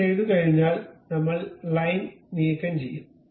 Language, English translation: Malayalam, Once it is done we remove this line, ok